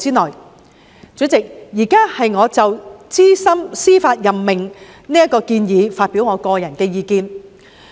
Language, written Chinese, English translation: Cantonese, 代理主席，我現在就資深司法任命建議發表個人意見。, Deputy President I now express my personal opinions on the proposed senior judicial appointment